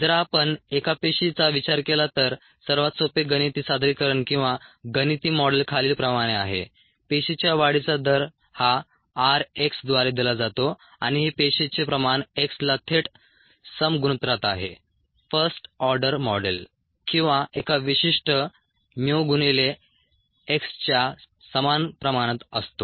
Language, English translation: Marathi, if we consider single cell, the simplest mathematical representation or a mathematical model is as follows: the rate of cell growth, as given by r x, is directly proportional to the cell concentration, x, first order model, or equals a certain mu into x